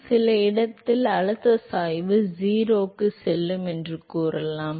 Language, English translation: Tamil, So, let us say at some location the pressure gradient will go to 0